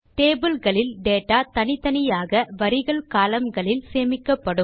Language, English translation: Tamil, Tables have individual pieces of data stored in rows and columns